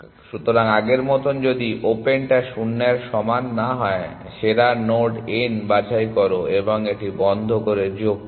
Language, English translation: Bengali, So, as before if open is not equal to nil, pick best node n and add it to closed